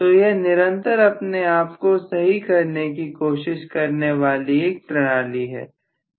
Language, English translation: Hindi, So it is actually a continuously self correcting mechanism